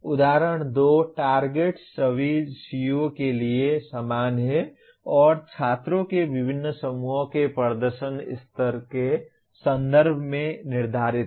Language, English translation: Hindi, Example 2, targets are the same for all COs and are set in terms of performance levels of different groups of students